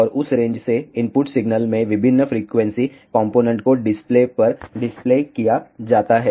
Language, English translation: Hindi, And, from that range various frequency components correspondingly in the input signal are displayed on to the display